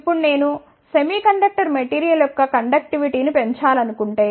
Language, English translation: Telugu, Now, if I want to increase the conductivity of the semiconductor material